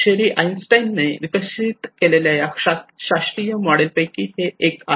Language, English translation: Marathi, This is one of the classical model developed by Sherry Arnstein